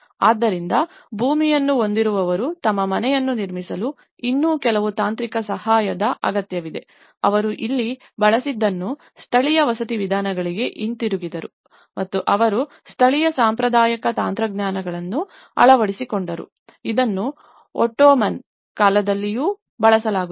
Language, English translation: Kannada, So, those who have a land but require still some technical assistance to construct their house, so here, what they have used they even gone back to the vernacular housing methodologies and they adopted the local traditional technologies, which were even used in Ottoman times and they have started developing a detached housing projects